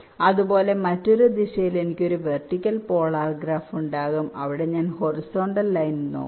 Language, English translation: Malayalam, similarly, in the other direction, i can have a vertical polar graph where i look at the horizontal lines